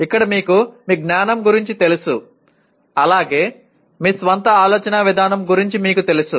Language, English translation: Telugu, Here either you are aware of your knowledge as well as you are aware of your own thinking process